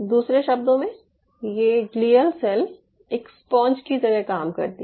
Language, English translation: Hindi, so in other word, those glial cells acts as a sponge